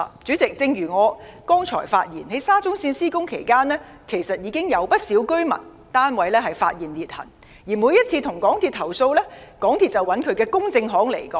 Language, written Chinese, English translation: Cantonese, 主席，正如我剛才所說，在沙中線項目施工期間，其實已經有不少居民發現單位出現裂痕，而每次向港鐵公司投訴，港鐵公司便交由其公證行回應。, President as I have stated during the implementation of the SCL Project many residents had found cracks on the walls in their flats and every time they made a complaint to MTRCL their case would be passed to the loss adjuster of MTRCL which would then give a response